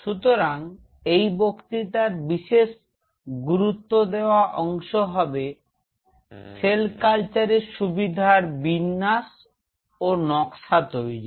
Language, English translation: Bengali, So, the thrust area of this lecture will be mostly layout and design of a cell culture facility